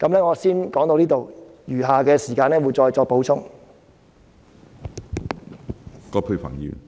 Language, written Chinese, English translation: Cantonese, 我先說到這裏，稍後時間再作補充。, I shall first stop it here and will add more information in due course